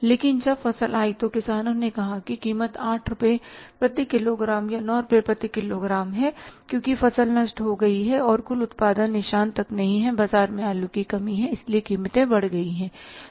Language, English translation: Hindi, But when the crop came, farmers asked a price say 8 rupees per kage or 9 rupees per kage because the crop was destroyed, the total output was not up to the mark, there is a shortage of the potatoes in the market, so prices have gone up